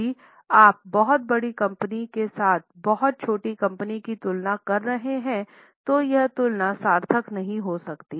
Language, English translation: Hindi, If you are comparing with very small company with very large company, sometimes the comparison may not be meaningful